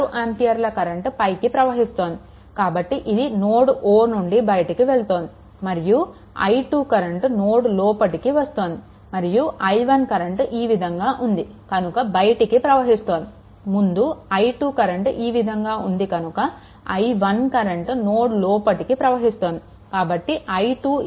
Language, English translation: Telugu, So, this is 6 ampere, it is leaving the node and this i 2 is actually entering into the node and this i 1 is leaving because current i 1 goes like this current i 2 also goes like this, right goes like this right